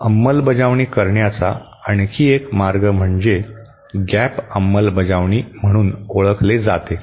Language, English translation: Marathi, Another way of implementing is what is known as gap implementation